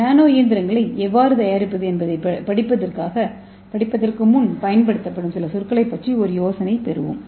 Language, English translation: Tamil, So before we see how to make nano machines let us get idea about some of the terminologies